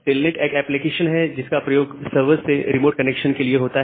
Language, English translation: Hindi, So, telnet is an application to make a remote connection to a server